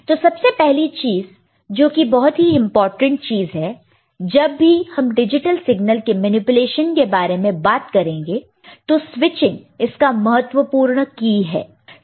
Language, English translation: Hindi, So, first thing, that is very important thing is that when we talk about manipulation of digital signal, switching is the key to it – ok